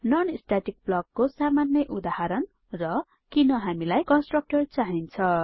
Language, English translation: Nepali, Simple example of non static block And Why we need constructors